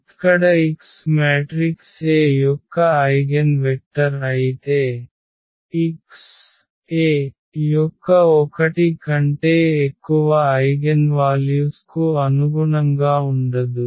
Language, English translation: Telugu, Here if x is the eigenvector of the matrix A, then x cannot correspond to more than one eigenvalue of A